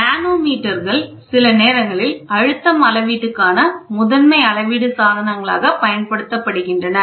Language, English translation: Tamil, Manometers are sometimes used as primary standards for pressure measurement